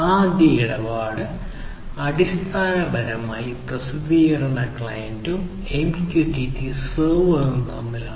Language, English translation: Malayalam, The first transaction is basically between the publishing client and the MQTT server and the second transaction is between the MQTT server and the subscribing client